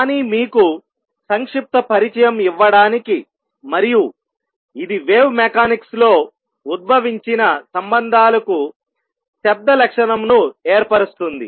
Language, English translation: Telugu, But to give you a brief introduction and what it sets the tone for the relations that are derived in wave mechanics also